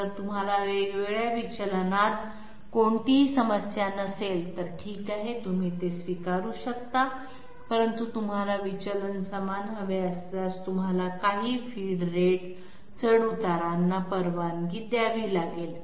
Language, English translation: Marathi, If you have no problem with different deviation, then okay you can accept it, but if you want the deviations to be same, you have to allow some feed rate fluctuation